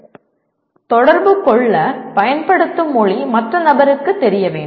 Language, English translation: Tamil, That means the language that you use to communicate is known to the other person